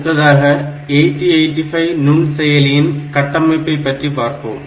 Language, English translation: Tamil, So, next we will go into that these are 8085 microprocessor architecture